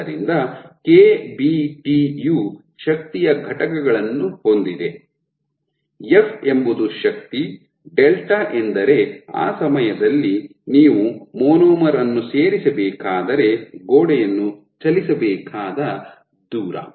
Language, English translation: Kannada, So, KBT has units of energy, f is the force, delta is the distance the wall has to be moved if you were to add a monomer at that point ok